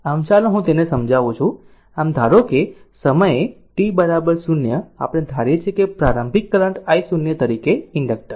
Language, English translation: Gujarati, So, let me clear it so you assume that at time t is equal to 0 we assume that the inductor as an initial current I 0 right